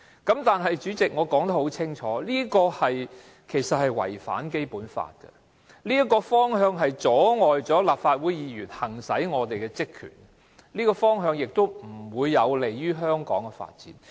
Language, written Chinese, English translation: Cantonese, 不過，代理主席，我已說得很清楚，這其實違反《基本法》，而這個方向不單阻礙立法會議員行使其職權，亦不利於香港的發展。, However Deputy President I have said very clearly that it is in fact in breach of the Basic Law . This direction not only hinders the Legislative Council Members from exercising their powers and functions but is also not conducive to the development in Hong Kong